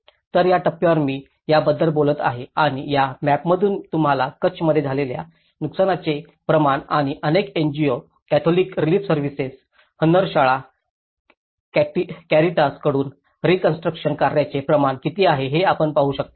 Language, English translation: Marathi, So, this is the stage which I will be talking about it and from this map you can see the amount of damage which has occurred in the Kutch and the amount of reconstruction activities from many NGOs, Catholic Relief Services, Hunnarshala, Caritas